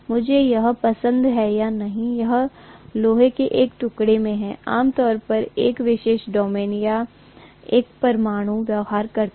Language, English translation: Hindi, Whether I like it or not, this is how in a piece of iron, generally a particular domain or an atom behaves